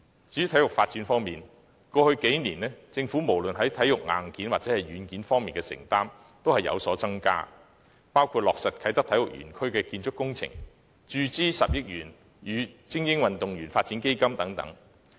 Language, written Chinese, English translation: Cantonese, 至於體育發展方面，過去數年，政府無論在體育硬件或軟件方面的承擔均有所增加，包括落實啟德體育園區的建築工程、注資10億元予精英運動員作為基本發展等。, On sports development the Government has increased its commitment to invest in both the hardware and software of sports in the past few years including the implementation of the construction of the Kai Tak Sports Park Project the injection of 1 billion for funding basic training of elite athletes etc